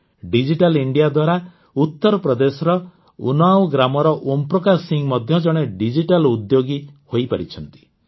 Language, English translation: Odia, Digital India has also turned Om Prakash Singh ji of Unnao, UP into a digital entrepreneur